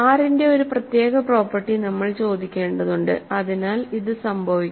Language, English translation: Malayalam, So, we have to ask for as a special property of R, so this must happen